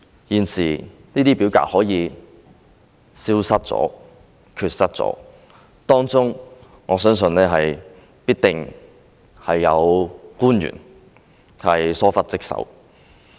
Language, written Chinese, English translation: Cantonese, 現時這些表格可以消失，我相信當中必定有官員疏忽職守。, When these forms are missing now I think dereliction of duty on the part of the officials is definitely involved